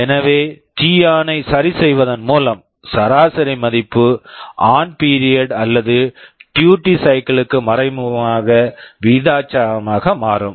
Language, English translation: Tamil, So, by adjusting t on the average value will be becoming proportional to the on period or the duty cycle indirectly